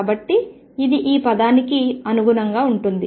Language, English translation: Telugu, So, this correspond to this term